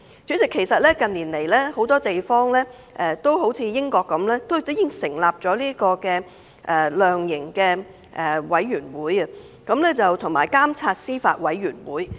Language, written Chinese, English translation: Cantonese, 主席，近年來很多地方也如英國一樣，成立了量刑委員會及監察司法委員會。, President in recent years many places such as the United Kingdom have set up sentencing councils and judiciary monitoring committees